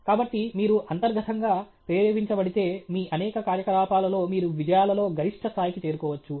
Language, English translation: Telugu, So, if you are intrinsically motivated, in many of your activities, you can reach that peak levels of achievement